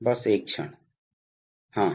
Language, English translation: Hindi, Just a moment